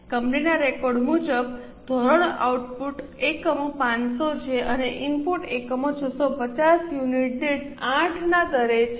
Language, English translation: Gujarati, The standard as per the company's record is output units are 500 and input units are 650 at the rate of 8 per unit